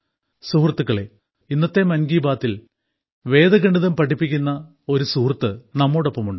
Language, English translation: Malayalam, Friends, today in 'Mann Ki Baat' a similar friend who teaches Vedic Mathematics is also joining us